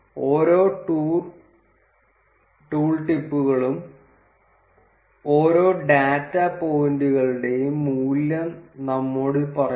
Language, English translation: Malayalam, And each of the tool tips tells us the value for each of the data points